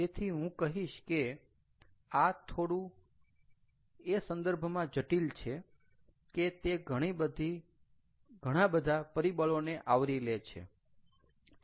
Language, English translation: Gujarati, so this is, i would say, a little complex in the sense that it it kind of encompasses a lot more elements